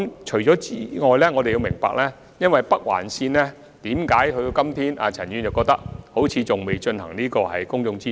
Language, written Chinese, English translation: Cantonese, 除此之外，我們也要明白就北環線的規劃，為何至今仍好像陳議員所說未進行公眾諮詢。, Besides Members need to understand why public consultation has yet to be conducted for the planning of the Northern Link apparently as suggested by Mr CHAN